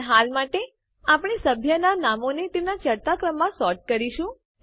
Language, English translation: Gujarati, But for now, we will sort the member names in ascending order